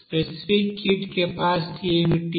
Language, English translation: Telugu, What is the specific heat capacity